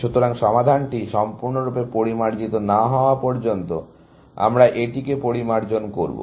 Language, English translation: Bengali, So, we will refine that, till the solution is fully refined